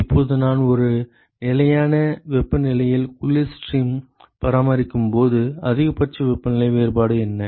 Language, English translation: Tamil, Now, what is the maximum possible temperature difference when I maintain the cold stream at a constant temperature